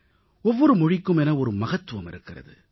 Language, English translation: Tamil, Every language has its own significance, sanctity